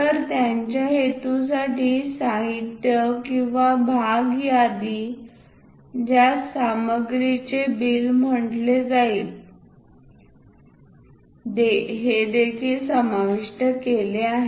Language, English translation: Marathi, So, for their purpose material or parts list which is called bill of materials are also included